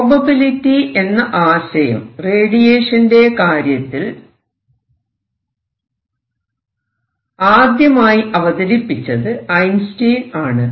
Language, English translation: Malayalam, So, Einstein introduced the idea of probability in this radiation, let us say it is random